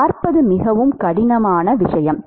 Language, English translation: Tamil, See it is a very difficult thing to see